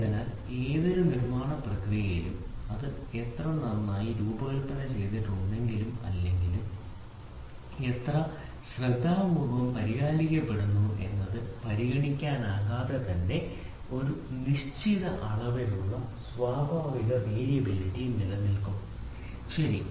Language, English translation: Malayalam, So, in any manufacturing process regardless of how well it is designed or how carefully it is maintained a certain amount of natural variability will be existing, ok